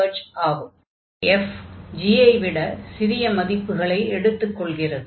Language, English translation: Tamil, So, since this f is taking the lower values than the g